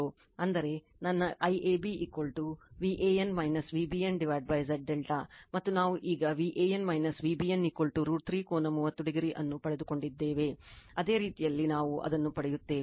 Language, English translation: Kannada, That means, my I AB is equal to V an minus V bn upon Z delta and we got now V an minus V bn is equal to root 3 angle 30 degree you got it now, same way we will get it